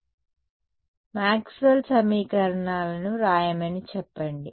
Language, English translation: Telugu, So, let us say write down our Maxwell’s equations